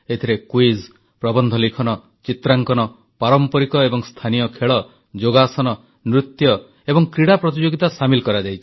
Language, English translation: Odia, This includes quiz, essays, articles, paintings, traditional and local sports, yogasana, dance,sports and games competitions